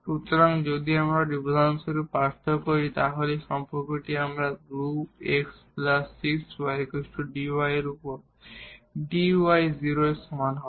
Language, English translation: Bengali, So, if we differentiate for example, this what relation we are getting 2 x plus 6 y and dy over dx is equal to 0